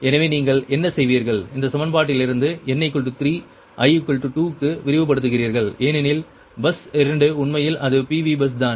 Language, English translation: Tamil, so what you will do it that from this equation n is equal to three, you expand, for i is equal to two, right, because bus two actually, is it pv bus, right